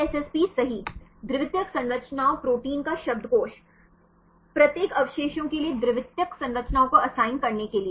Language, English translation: Hindi, DSSP right, dictionary of secondary structures proteins, to assign the secondary structures for each residues